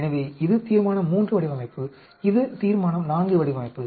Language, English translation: Tamil, So, this is Resolution III design, this is a Resolution IV design